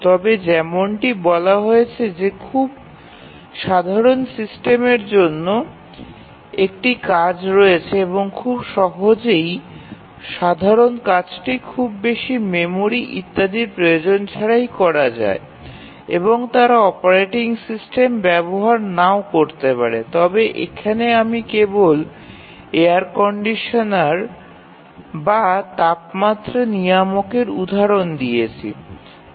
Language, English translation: Bengali, But as you are saying that very very simple systems we just have a task single task and very simple task without needing much memory etcetera, they might not use a operating system I just giving an example of a air conditioner or temperature controller